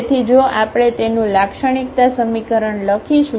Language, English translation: Gujarati, So, if we write down its characteristic equation